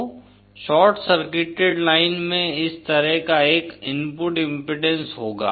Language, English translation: Hindi, So short circuited line will have this kind of an input impedance